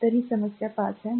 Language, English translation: Marathi, So, this is problem 5